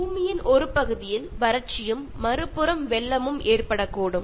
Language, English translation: Tamil, There could be drought in one part of the Earth and flood on the other